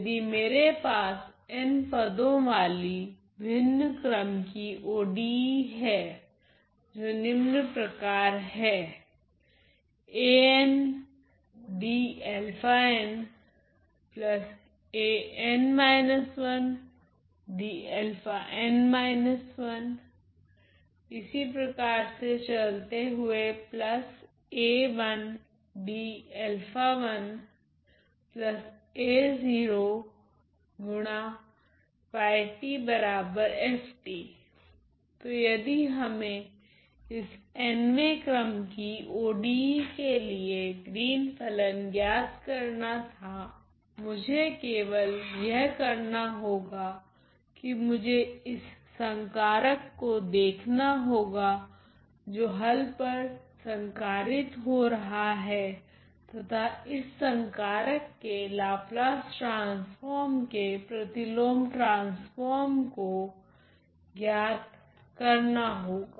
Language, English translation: Hindi, So, if I were to find what is the Green’s function of this nth order ODE I all I need to do is look at this operator which is operating on the solution and find the inverse transform of the corresponding Laplace transform of this operator